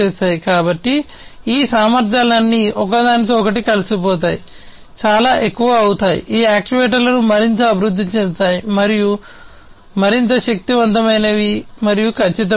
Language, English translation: Telugu, So, all of these capabilities combine together, becoming much, you know, making these actuators much more advanced, much more powerful, and much more accurate